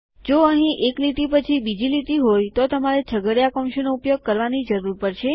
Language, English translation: Gujarati, If youre going to have a line after line here, youll need the curly brackets